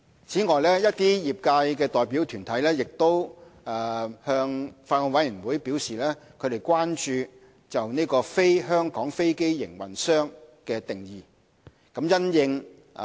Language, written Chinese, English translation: Cantonese, 此外，一些業界代表團體向法案委員會表示關注"非香港飛機營運商"的定義。, Moreover deputations from the industry have expressed concerns to the Bills Committee on the definition of non - Hong Kong aircraft operator